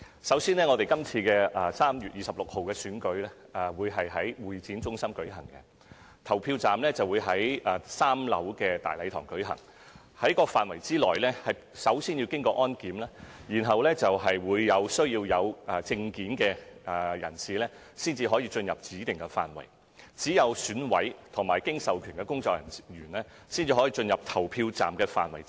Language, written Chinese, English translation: Cantonese, 首先，今次3月26日的選舉會在香港會議展覽中心舉行，投票站設於3樓大禮堂，進入該範圍先要經過安檢，只有配戴證件的人士才獲准進入指定範圍，而只有選委和經授權工作人員可進入投票站範圍。, First the Election will be held on 26 March at the Hong Kong Convention and Exhibition Centre HKCEC and the Grand Hall on the third floor is designated as the main polling station . Anyone entering the area must go through security check and only persons wearing a name card will be allowed to enter a specific zone while only EC members and authorized personnel will be allowed in polling zones